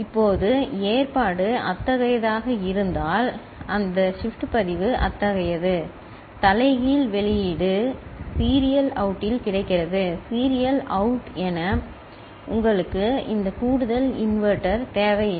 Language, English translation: Tamil, Now, if the arrangement is such, that shift register is such, that inverted output is available at the serial out, as serial out, then you do not need this extra inverter